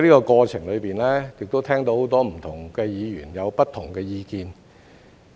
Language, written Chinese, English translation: Cantonese, 過程中，我亦聽到很多不同的議員有不同的意見。, I have also heard many different views presented by various Members during the process